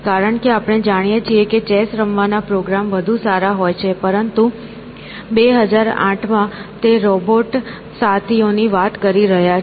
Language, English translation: Gujarati, Because, now as we know, chess playing programs are much better, but in 2008 he is talking about robot companions